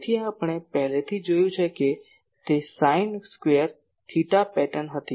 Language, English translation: Gujarati, So, we have already seen that it was a sin sin square theta pattern ah